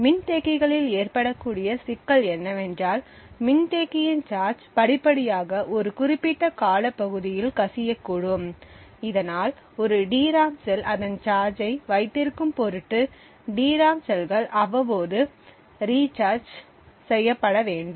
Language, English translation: Tamil, The problem that may occur in capacitors is that the charge on the capacitor may gradually leak over a period of time, thus in order that a DRAM cell holds its charge it is required that the DRAM cells be recharged periodically